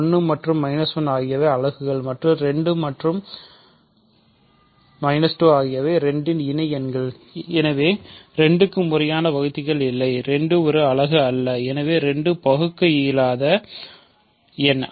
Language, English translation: Tamil, 1 and minus 1 are units, and 2 and plus minus plus minus 2 are associates of 2, hence 2 has no proper divisors and 2 is not a unit, so 2 is irreducible